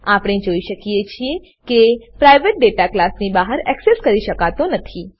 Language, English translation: Gujarati, We know, the private data is not accessible outside the class